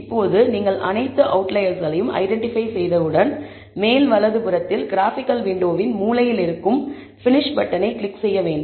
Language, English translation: Tamil, Now, once you have identified all the outliers, you need to click the finish button that is present on the top right, corner of the graphical window, you can also press escape to finish